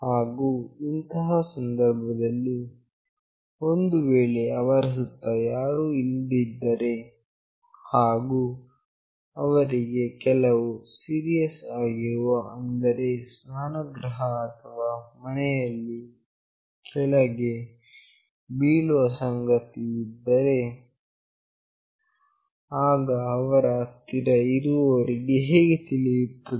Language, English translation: Kannada, And under such condition, if nobody is around them and there is some serious issue like they fall down in bathroom or in house only, then how do their near ones will come to know